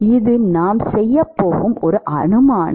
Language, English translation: Tamil, This is an assumption that we are going to make and